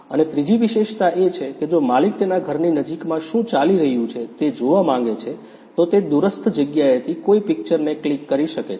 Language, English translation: Gujarati, And the third feature is if the owner wants to see what is going on near nearby his house, he can click an image from a remote place